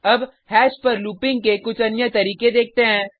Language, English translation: Hindi, Now let us see few other ways of looping over hash